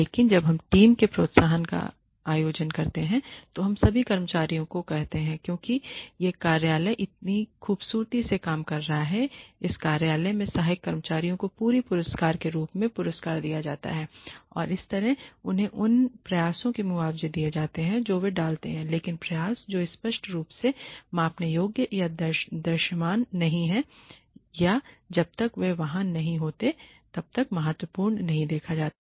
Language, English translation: Hindi, But when we organize team incentives we say all the staff because this office is functioning so beautifully the support staff in this office are going to be given a prize as a whole and that way they can be compensated for the efforts that they put in, but the efforts that are not clearly measurable or visible or are not seen as significant till they are not there